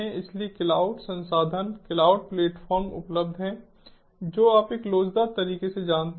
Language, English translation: Hindi, so cloud resources, cloud platforms, are available, ah, you know, in an elastic manner, resilient manner